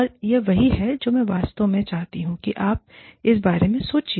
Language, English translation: Hindi, And, this is what, I would really like you to think about